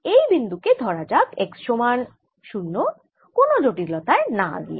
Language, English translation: Bengali, let us take this to be x equal to zero, without any loss of generality